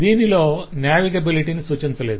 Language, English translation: Telugu, this does not allow any navigation at all